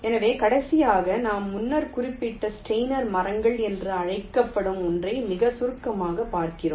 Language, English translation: Tamil, so, lastly, we look at very briefly some something called steiner trees, which we mentioned earlier